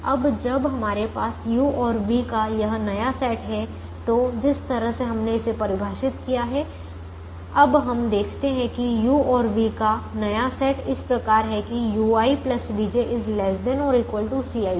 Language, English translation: Hindi, now, when we have this new set of u's and v's, the way we have defined it, we now observe that the new set of u's and v's are such that u i plus v j is less than or equal to c i j